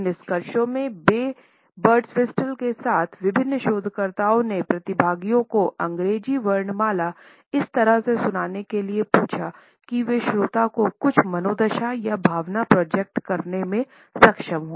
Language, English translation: Hindi, In their findings, in association with ray Birdwhistle, various researchers asked participants to recite the English alphabet in such a way that they are able to project a certain mood or emotion to the listener